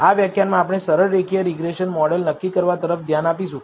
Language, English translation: Gujarati, In this lecture, we are going to look at simple linear regression model assessment